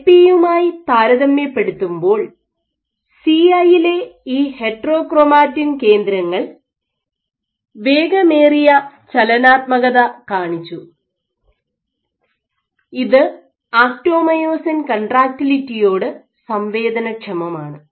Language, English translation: Malayalam, So, this heterochromatin foci exhibited faster dynamics in CI compared to LP and this was sensitive to actomyosin contractility